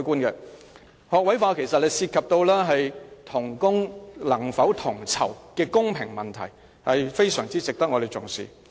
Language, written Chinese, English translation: Cantonese, 學位化其實涉及同工能否同酬的公平問題，非常值得我們重視。, Introducing an all - graduate teaching force is about equal pay for equal work which is really a question of equity . The issue thus deserves our attention